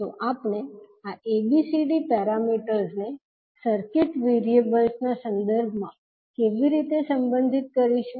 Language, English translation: Gujarati, So, how we will relate these ABCD parameters with respect to the circuit variables